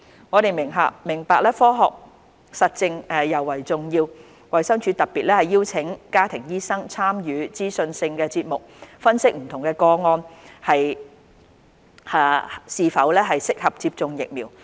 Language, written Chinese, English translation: Cantonese, 我們明白科學實證尤為重要，衞生署特別邀請家庭醫生參與資訊性節目分析不同個案是否適合接種疫苗。, We understand that science - based evidence is particularly important . DH therefore invited family doctors to participate in informative programmes to assess whether different cases are suitable for receiving vaccines